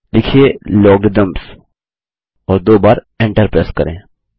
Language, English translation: Hindi, Type Logarithms: and press Enter twice